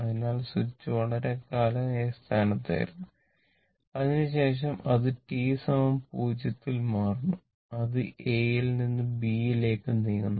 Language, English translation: Malayalam, So, the switch A this switch was in a position A for long time after that it ah move at t is equal to 0 it moves from A to B right